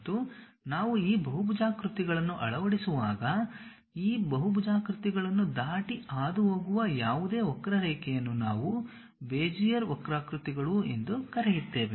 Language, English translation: Kannada, And when we are fitting these polygons, whatever the curve which pass through that crossing these polygons that is what we call Bezier curves